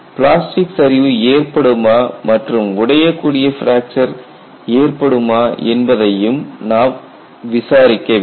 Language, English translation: Tamil, You have to investigate whether that could be plastic collapse as well as brittle fracture possible